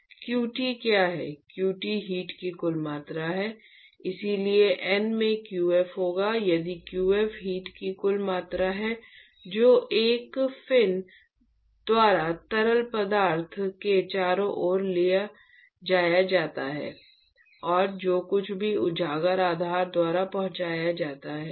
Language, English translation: Hindi, What is qt, qt is the total amount of heat so, that will be N into qf if qf is the total amount of heat that is transported by one fin to the fluid around plus whatever is transported by the exposed base